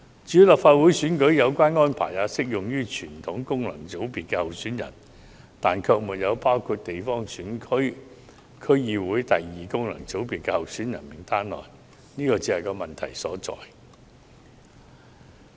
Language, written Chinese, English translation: Cantonese, 至於立法會選舉，有關安排亦適用於傳統功能界別候選人，但卻不適用於地方選區或區議會功能界別候選人名單上的候選人，這是問題所在。, As for the Legislative Council election such arrangement is applicable only to candidates of the traditional FCs but not to candidate lists of GCs or DC second FC . This is where the problem lies